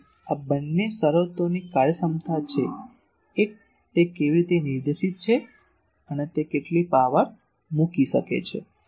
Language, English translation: Gujarati, So, both these are terms efficiency one is how directed, it is and how much power it can put